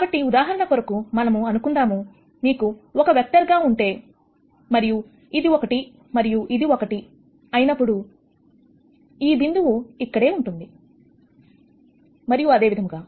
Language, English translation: Telugu, So, for example, if you have let us say 1 as your vector, and if this is one and this is one, then the point will be here and so on